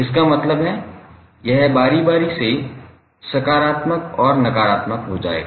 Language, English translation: Hindi, So, that means it will alternatively become positive and negative